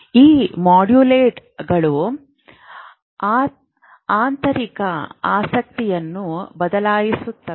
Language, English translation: Kannada, So these modulators can alter the intrinsic property